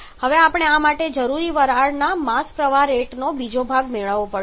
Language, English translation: Gujarati, Now we have to get the second part of the mass steam required for this